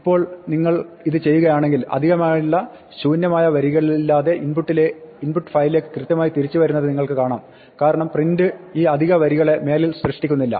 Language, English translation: Malayalam, Now, if you do this you see we get back to exactly the input files as it is without the extra blank lines because print is no longer creating these extra lines